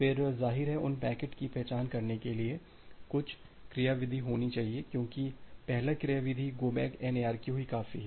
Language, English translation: Hindi, Then; obviously, there should be some mechanism to identify those packets because, the first mechanism there go back N ARQ is simple enough